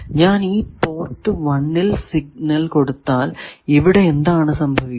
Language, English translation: Malayalam, If I give signal at either port 1 or port 4